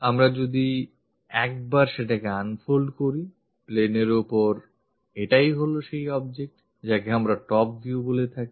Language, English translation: Bengali, So, once we unfold that, so this is the object on that plane, what we get; this one; that one what we call this top view